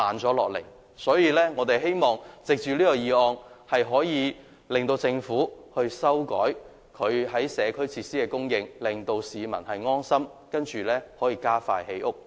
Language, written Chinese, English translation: Cantonese, 所以，我們希望通過這項議案，令政府改變社區設施的供應，令市民安心，然後加快建屋。, Therefore we hope that by endorsing this motion the Government will revise the provision of community facilities to ease members of the public and then it can speed up housing construction